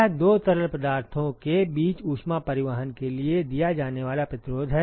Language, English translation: Hindi, It is the resistance offered for heat transport between the two fluids right